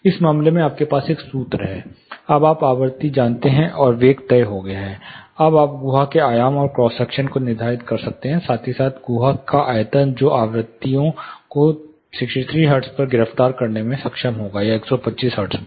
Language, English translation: Hindi, In this case you have a formula, you know the frequency now, and velocity is fixed, now you can determine the dimension and the cross section of the cavity, as well as the volume of the cavity which will be able to arrest frequencies at 63 hertz, frequencies of 63 hertz or 125 hertz